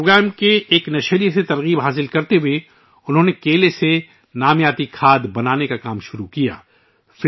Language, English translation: Urdu, Motivated by an episode of this program, she started the work of making organic fertilizer from bananas